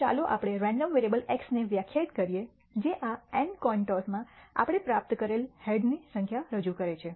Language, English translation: Gujarati, So, let us define a random variable x that represents the number of heads that we obtain in these n coin tosses